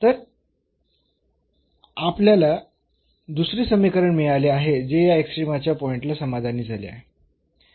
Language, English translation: Marathi, So, we got this another equation which is satisfied at the point of a extrema